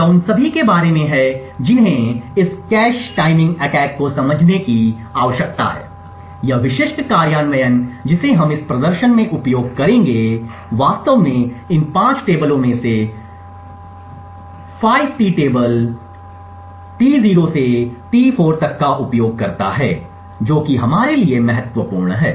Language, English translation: Hindi, This is about all that require to understand this cache timing attack, this specific implementation that we will use in this demonstration actually uses 5 T tables T0 to T4 out of these 5 tables the 1st 4 are important to us